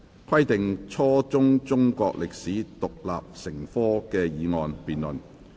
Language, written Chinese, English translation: Cantonese, "規定初中中國歷史獨立成科"的議案辯論。, Motion on Requiring the teaching of Chinese history as an independent subject at junior secondary level